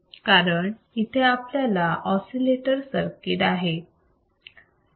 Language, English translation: Marathi, Let us see what exactly oscillators are